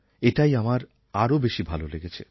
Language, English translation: Bengali, This I liked the most